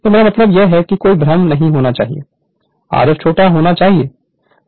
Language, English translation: Hindi, So, I mean there should not be any confusion r f is equal to smaller r f right